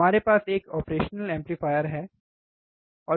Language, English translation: Hindi, So, we have a operational amplifier here, right